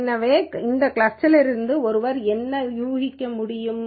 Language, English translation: Tamil, So, what can one infer from this cluster means